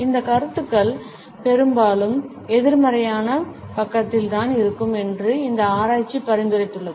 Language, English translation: Tamil, And this research has also suggested that these opinions often tend to be on the negative side